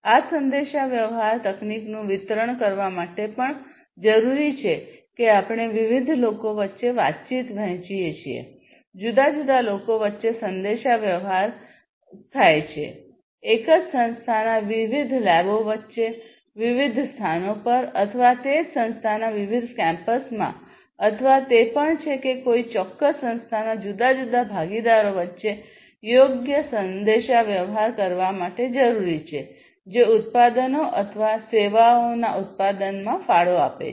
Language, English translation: Gujarati, And this communication technology is required even to distribute we have distributed communication between different people, distributed communication between different people, distributed communication between the different labs of the same organization, distributed communication across the different locations, or different campuses of the same organization or even it is also required for having proper communication between the different partners of a particular organization, who contribute to the manufacturing of the products or the services